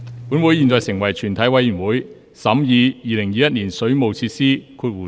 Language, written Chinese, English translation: Cantonese, 本會現在成為全體委員會，審議《2021年水務設施條例草案》。, This Council now becomes committee of the whole Council to consider the Waterworks Amendment Bill 2021